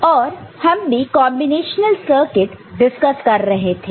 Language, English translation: Hindi, And, we were discussing combinatorial circuit